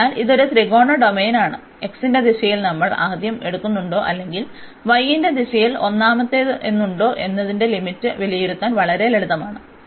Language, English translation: Malayalam, So, this is a triangular domain and again very simple to evaluate the limits whether we take first in the direction of x or we take first in the direction of y